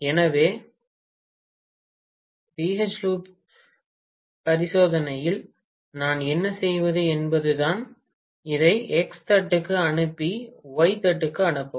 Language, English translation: Tamil, So, what we do in the BH loop experiment is to send this to X plate and send this to Y plate